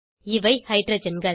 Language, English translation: Tamil, These are the Hydrogens